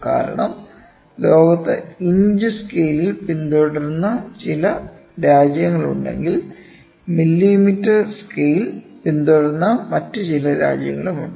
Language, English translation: Malayalam, Because, in the world if you see there are certain countries which follow inches scale, there are certain countries which follow millimetre scale, right